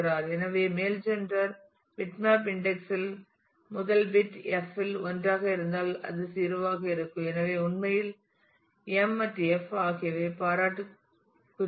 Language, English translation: Tamil, And therefore, in the male gender bitmap index the first bit is 1 in f it is 0; so, actually m and f are complimentary